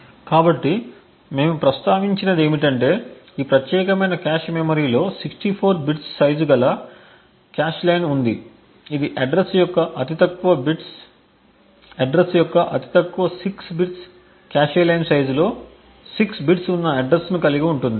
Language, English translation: Telugu, So what we did mention was that this particular cache memory had a cache line size of 64 bits which would indicate that the lowest bits of the address, the lowest 6 bits of the address comprises addressing within the cache line size which is of 6 bits